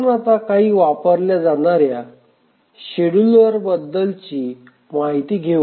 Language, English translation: Marathi, So, now we will start looking at some of the schedulers that are being used